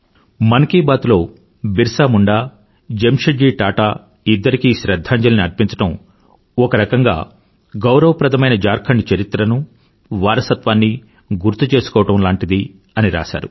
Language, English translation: Telugu, Paying tributes to BirsaMunda and Jamsetji Tata is, in a way, salutation to the glorious legacy and history of Jharkhand